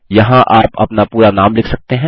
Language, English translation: Hindi, Here you can type your fullname